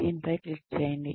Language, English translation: Telugu, Click on this